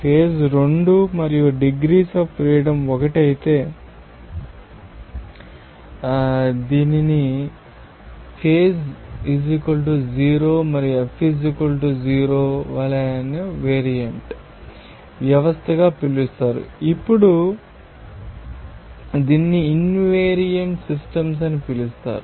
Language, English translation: Telugu, If phase 2 and degrees of freedom is 1 it would be called as a univariant system for as is phase = 3 and F = 0, then it would be called invariant system